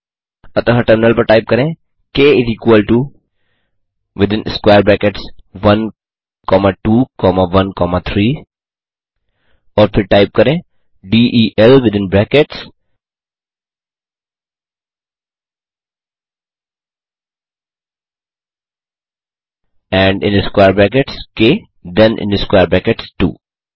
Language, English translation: Hindi, So type on the terminal k is equal to 1,2 ,1,3 and then type del within brackets and square brackets k then square brackets 2